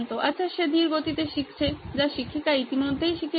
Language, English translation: Bengali, Well he is learning at a slow pace that the teacher has already gone past